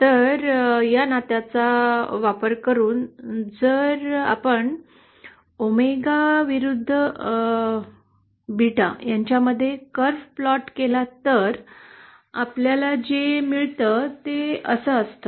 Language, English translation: Marathi, So using this relationship, if we plot a curve between omega vs beta, what we get is something like this